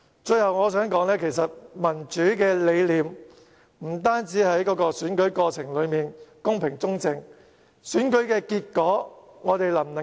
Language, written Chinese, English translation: Cantonese, 最後，我想說的是，其實民主理念不只要選舉過程公平、公正，我們能否尊重選舉結果也很重要。, Finally I would like to say that the concept of democracy does not only entail an equitable and fair election process but also a respect of the election outcome which is very important